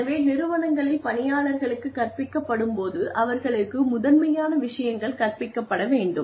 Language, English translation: Tamil, So, when people are taught in organizations, they are taught primarily, they are taught skills